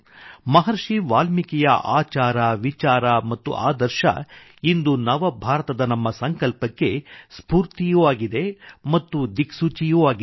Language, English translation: Kannada, Maharishi Valmiki's conduct, thoughts and ideals are the inspiration and guiding force for our resolve for a New India